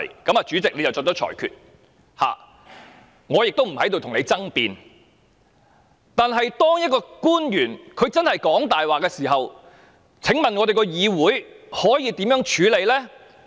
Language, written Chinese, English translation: Cantonese, 由於主席已就此作出裁決，我不會跟你爭辯，但當一名官員真的在說謊時，議會可以如何處理呢？, As the President has already made a ruling on the matter I have no intention to argue about this but what can we in this legislature do when a government official is really telling lies?